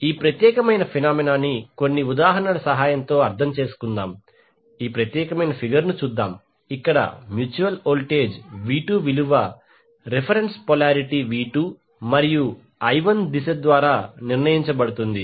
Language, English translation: Telugu, Let us understand this particular phenomena with the help of couple of examples let us see this particular figure where the sign of mutual voltage V2 is determine by the reference polarity for V2 and the direction of I1